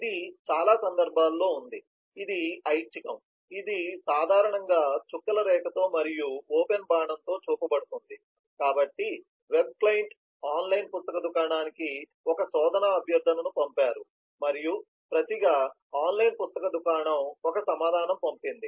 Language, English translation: Telugu, in many cases, it is optional, it is typically shown with dotted line and with open arrow, so a web client sent search request to the online book shop and online book shop in return has sent a reply